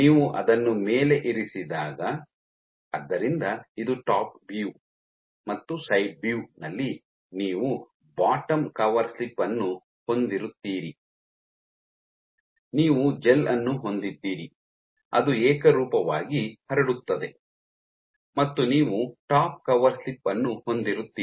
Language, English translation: Kannada, So, when you place it on top what you get, so in side with this is top view and in side view this is what you will have you have your bottom cover slip you have your gel which is spread about uniformly and you have the top cover slip